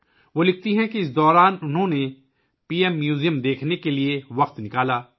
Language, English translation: Urdu, She writes that during this, she took time out to visit the PM Museum